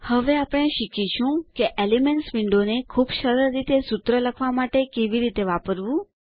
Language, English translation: Gujarati, Now we learnt how to use the Elements window to write a formula in a very easy way